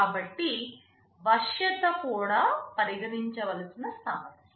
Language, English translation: Telugu, So, flexibility is also an issue that needs to be considered